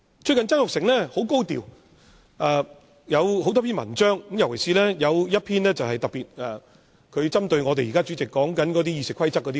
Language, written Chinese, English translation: Cantonese, 最近曾鈺成十分高調，撰寫了多篇文章，其中一篇特別針對現任主席對《議事規則》的言論。, Recently Jasper TSANG has assumed a high profile . He has written several articles and one of them specifically responded to the remarks made by the incumbent President on RoP